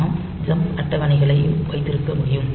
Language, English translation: Tamil, So, we can have also jump table